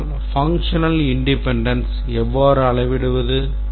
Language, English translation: Tamil, But how do we measure functional independence